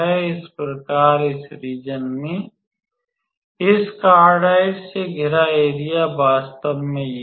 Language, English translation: Hindi, So, that is the area bounded by this cardioide between I mean in this region actually